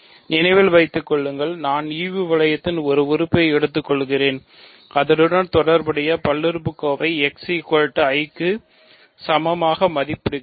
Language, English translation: Tamil, So, remember again I am taking an element in the quotient ring, I am just evaluating the corresponding polynomial at x equal to i